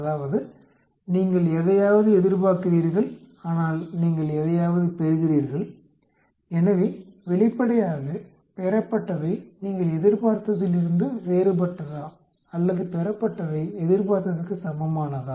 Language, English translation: Tamil, That means, you observe something where as you expect something, so obviously, is the observation is different from your expected or the observation is equal to the expected